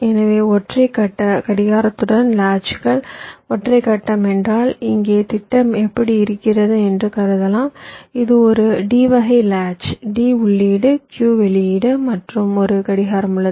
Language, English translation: Tamil, single phase means here i am assuming that my schematic looks like this its a d type latch, d input, ah, q output and i have a single clock